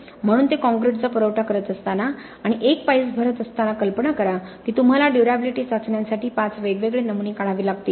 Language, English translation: Marathi, So while they are supplying the concrete and filling up one pile imagine that you need to pull out 5 different samples for durability tests